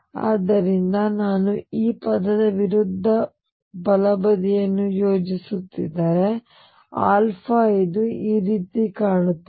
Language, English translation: Kannada, So, if I were to plot right hand side this term versus alpha this would look like this